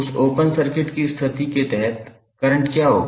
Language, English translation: Hindi, Under that open circuit condition what would be the current I